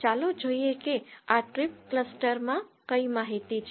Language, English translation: Gujarati, Let us see what information this this trip cluster has